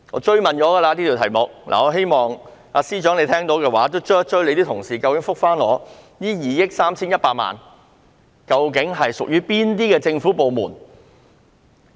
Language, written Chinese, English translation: Cantonese, 這個問題我已經追問，希望司長聽到後能夠追問他的同事，答覆我究竟這2億 3,100 萬元是屬於哪些政府部門？, I raise this question again and hope the Secretary will press his colleagues and reply me to which departments the 231 million belonged